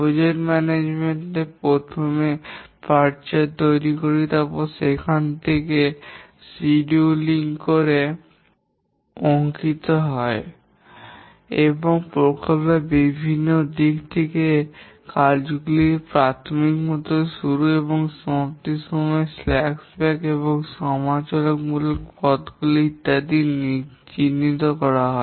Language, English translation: Bengali, The project manager initially constructs a path chart where the overall schedule is drawn and various aspects of the project such as the earliest start and completion time of the tasks, the slack times, the critical paths, etc